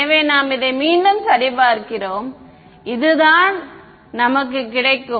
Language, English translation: Tamil, So, we are just check this once again if this is what we will get yeah